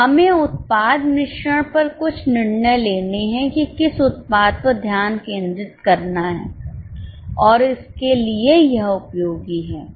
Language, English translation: Hindi, We have to take certain decisions on product mix, which product to focus on and so on